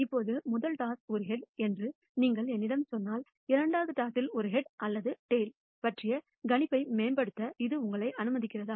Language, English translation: Tamil, Now if you tell me that the first toss is a head then does it allow you to improve the prediction of a head or a tail in the second toss